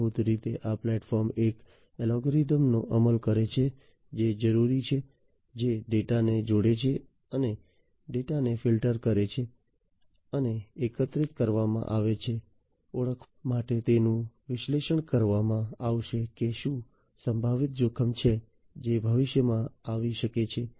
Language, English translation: Gujarati, So, here basically this platform implements an algorithm that is required, which basically combines and filters the data, and the data that is collected will be analyzed to basically you know identify whether there is a potential threat that can come in the future